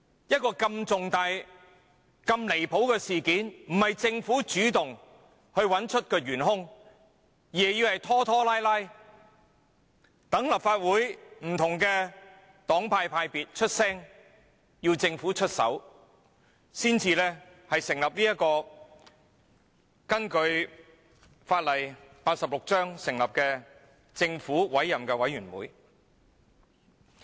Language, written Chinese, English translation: Cantonese, 如此離譜的重大事件不是由政府主動尋找原兇，而是拖拖拉拉由立法會不同派別的議員提出要求，政府才肯出手根據香港法例第86章成立調查委員會。, Worse still instead of initiating to conduct an investigation to identify the culprits of this outraging incident the Government has delayed the matter until Members from different political parties and groupings in the Legislative Council put forward a request . Finally a Commission of Inquiry was eventually set up under Cap . 86 of the laws of Hong Kong